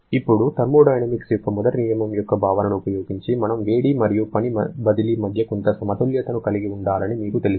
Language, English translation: Telugu, Now, using our concept of first law of thermodynamics, you know that we must have some balance between the heat and work transfer